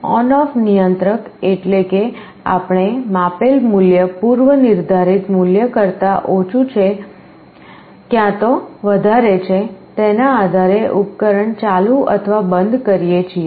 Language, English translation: Gujarati, ON OFF controller means we either turn on or turn off the device depending on whether the measured value is less than or greater than the preset